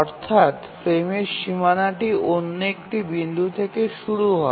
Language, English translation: Bengali, So we have the frame boundary starting at this point